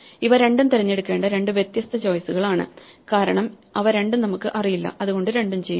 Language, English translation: Malayalam, These are two different choices which one to choose, well since we do not know we solve them both